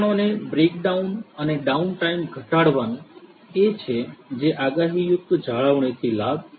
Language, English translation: Gujarati, Reducing the equipment down breakdown and downtime is what is going to be the benefit out of predictive maintenance